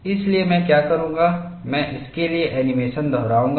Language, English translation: Hindi, So, what I would do is, I would repeat the animation for this